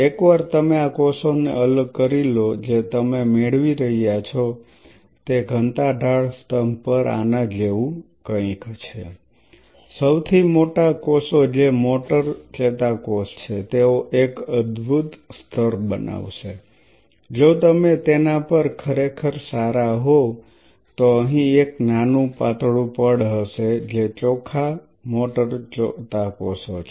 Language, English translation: Gujarati, Once you separate out these cells what you will be achieving is something like this on a density gradient column the largest cells which are the motor neurons they will form a wonderful layer if you are really good at it a small thin layer out here which will be the pure motor neurons